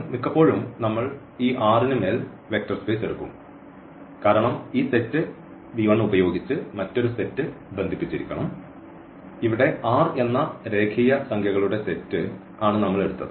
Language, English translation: Malayalam, So, most of the time we will take this vector space over this R because with this set V 1 another set must be associated which we have taken here this R set of real numbers